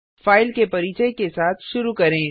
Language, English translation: Hindi, Let us start with the introduction to files